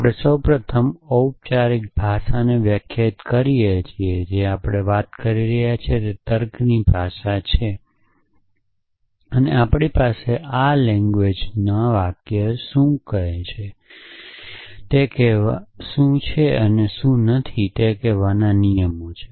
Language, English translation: Gujarati, So, we first define a formal language which is the language of logic that we are talking about and we have rules to say what is the sentence in this language and what is not